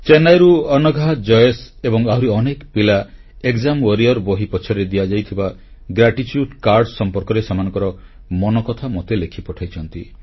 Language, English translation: Odia, Anagha, Jayesh and many other children from Chennai have written & posted to me their heartfelt thoughts on the gratitude cards, the post script to the book 'Exam Warriors'